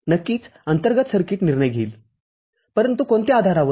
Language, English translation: Marathi, Of course, the circuit inside will make the decision, but based on what